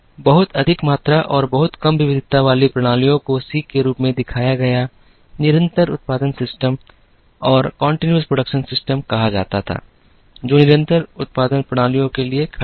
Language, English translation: Hindi, Very high volume and very low variety systems were called continuous production systems shown as C, which stands for continuous production systems